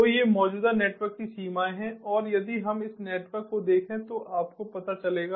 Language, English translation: Hindi, so these are the limitations of the existing network and if we look at this network, you know a